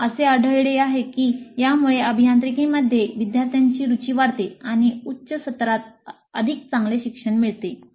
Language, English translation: Marathi, They find that this enhances student interest in engineering and motivates better learning in higher semesters